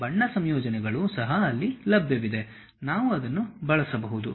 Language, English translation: Kannada, Color combinations also available there, which one can really use that